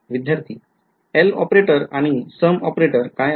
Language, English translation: Marathi, What is the L operator and a sum operator